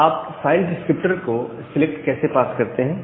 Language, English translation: Hindi, Now, how do you pass the file descriptor to select